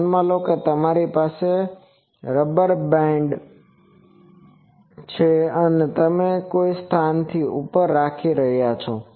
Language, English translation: Gujarati, Consider that you have a rubber band and you are holding it above some place